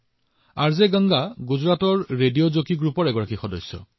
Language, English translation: Assamese, RJ Ganga is a member of a group of Radio Jockeys in Gujarat